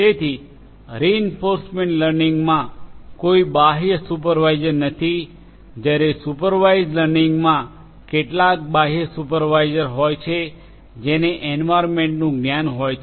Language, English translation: Gujarati, So, in reinforcement learning there is no external supervisor whereas, in supervised learning there is some external supervisor who has the knowledge of the environment